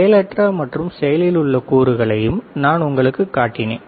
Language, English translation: Tamil, And I also shown you the passive and active components